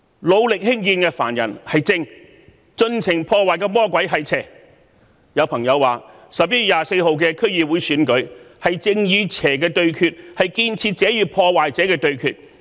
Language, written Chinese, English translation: Cantonese, 努力興建的凡人是正，盡情破壞的魔鬼是邪，有朋友說11月24日的區議會選舉，正是正與邪的對決，建設者與破壞者的對決。, Some friends of mine suggested that the DC Election to be held on 24 November is a battle between justice and evil and a duel between those who build and those who destroy